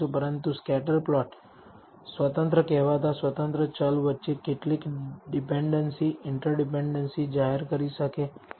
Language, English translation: Gujarati, But a scatter plot may reveal some dependencies, inter dependencies, between the independent so called independent variables